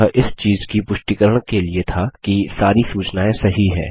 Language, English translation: Hindi, This is to confirm that all the information is correct